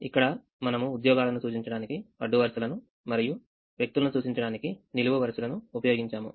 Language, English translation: Telugu, so let us look at this example where we used the rows to represent the jobs and we used the columns to represent the people